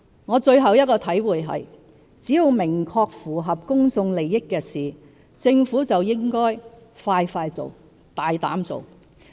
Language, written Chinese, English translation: Cantonese, 我最後一個體會是，只要是明確符合公眾利益的事，政府就應該快快做、大膽做。, My last realization is that the Government should act swiftly and boldly on matters which clearly serve the public interest